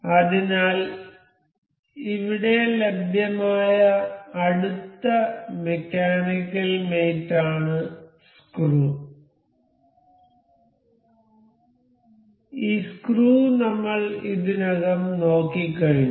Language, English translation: Malayalam, So, the next available mechanical mate here is screw, this screw we have already covered now we will check this universal joint